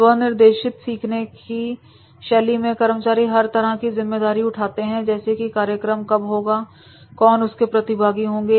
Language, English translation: Hindi, Self directed learning has employees take responsibility for all aspects of learning including when it is conducted and who will be involved